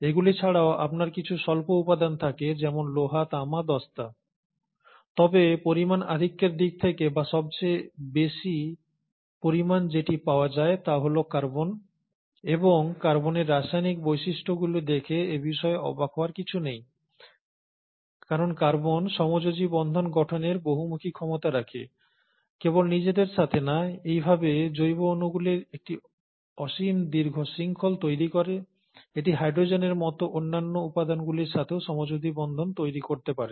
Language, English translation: Bengali, In addition to these, you do have some trace elements like iron, copper, zinc; but in terms of bulk quantity, the bulkiest, or the one which is available in most quantity is the carbon, and that should not be a surprise looking at the chemical properties of carbon, because carbon has a versatile ability to form covalent bonds, not just with itself, and thus lead to a infinite long chains of organic molecules, it can also form covalent bonds with other elements, like hydrogen and so on